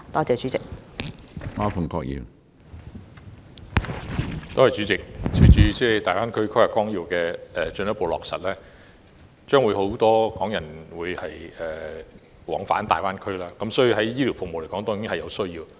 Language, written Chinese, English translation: Cantonese, 主席，隨着《規劃綱要》進一步落實，將會有很多港人往返大灣區，所以會有醫療服務方面的需要。, President with the further implementation of the Outline Development Plan there will be more Hong Kong people commuting to and from the Greater Bay Area and they will thus need medical services